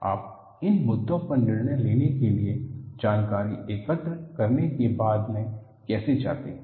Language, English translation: Hindi, How do you go about collecting the information to decide on these issues